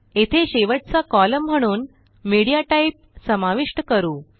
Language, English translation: Marathi, Here let us introduce MediaType as the last column